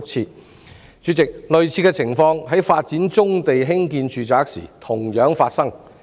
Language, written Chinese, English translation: Cantonese, 代理主席，類似的情況在發展棕地興建住宅時亦同樣發生。, Deputy President similar circumstances also occur in developing brownfield sites for construction of residential buildings